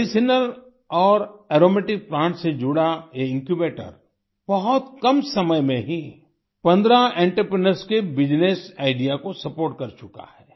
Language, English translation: Hindi, In a very short time, this Incubator associated with medicinal and aromatic plants has supported the business idea of 15 entrepreneurs